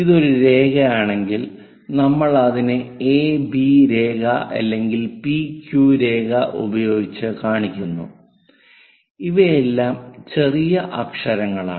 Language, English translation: Malayalam, If it is a line, we show it by a b line, may be p q line, all these are lower case letters